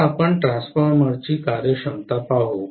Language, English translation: Marathi, Now let us look at efficiency of a transformer